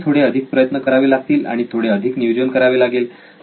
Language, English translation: Marathi, It just takes a little more effort and little more planning to do all this